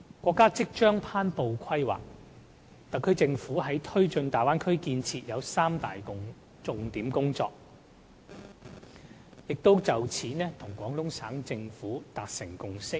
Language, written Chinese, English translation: Cantonese, 國家即將頒布《規劃》，特區政府在推進大灣區建設方面，有三大重點工作，並已就此與廣東省政府達成共識。, The State will soon announce the Development Plan . The SAR Government thinks that it should undertake three major tasks in the development of the Bay Area and it has reached consensus with the Guangdong Provincial Government on these tasks